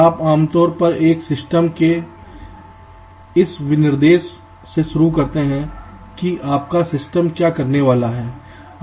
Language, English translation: Hindi, you typically start with this specification of a system, what your system is suppose to do